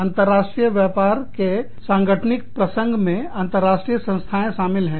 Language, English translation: Hindi, The institutional context of international business, includes international organizations